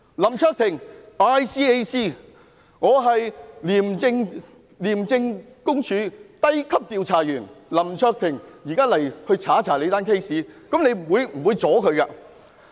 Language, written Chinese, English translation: Cantonese, 林卓廷議員大可以說，"我是廉政公署低級調查員，現在要調查你的案件"，這樣我們是不會阻攔他的。, Mr LAM Cheuk - ting can simply say I am a Junior Investigator of the Independent Commission Against Corruption ICAC and now I have to investigate your case . We will not get in his way then